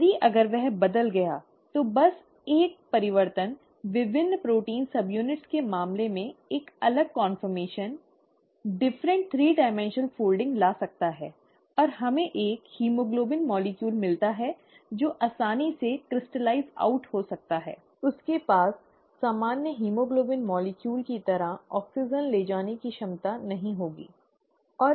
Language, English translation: Hindi, If, if that is changed, then just that one change can bring about a different conformation, different three dimensional folding in the case of the various protein sub units, and we get a haemoglobin molecule that can easily crystallize out, it will not have an ability to carry oxygen as a normal haemoglobin molecule does